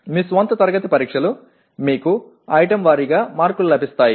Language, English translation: Telugu, Your own class tests you will have item wise marks available to you